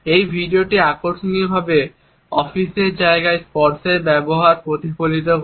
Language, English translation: Bengali, This video interestingly reflects the use of touch in the offices space